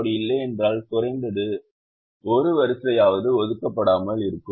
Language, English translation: Tamil, if you don't have, then there is atleast one row that is not assigned